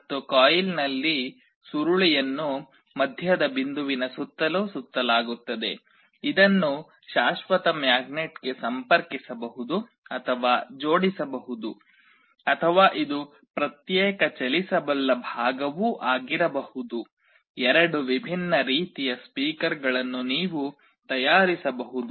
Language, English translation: Kannada, And in the coil, coil is wound around a middle point this can be connected or attached to the permanent magnet, or this can be a separate movable part also, there can in two different kind of speakers you can manufacture